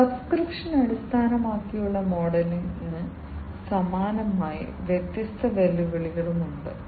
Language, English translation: Malayalam, So, similarly, similar to the subscription based model, there are different challenges also